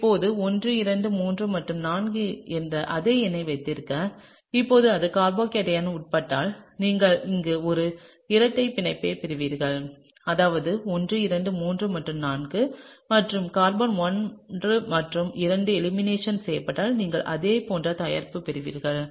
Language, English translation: Tamil, Now just to keep the same numbering 1 2 3 and 4 and now, if this undergoes elimination then you would get a double bond here, that is 1 2 3 and 4, and if carbon 1 and 2 undergoes elimination you will get exactly the same product over here, okay